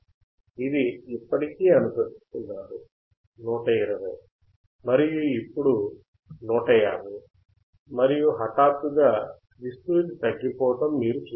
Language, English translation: Telugu, It is still following 120, and now 150 and suddenly you see that the amplitude is getting clipped or amplitude is decreasing